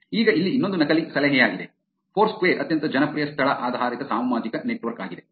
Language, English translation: Kannada, Now here is another one which is a Fake Tip: Foursquare is the most popular location based social network